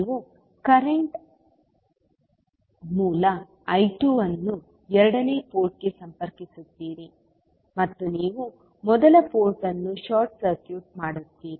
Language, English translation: Kannada, You will connect current source I 2 to the second port and you will short circuit the first port